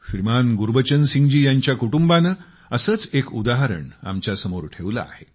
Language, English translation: Marathi, ShrimanGurbachan Singh ji's family has presented one such example before us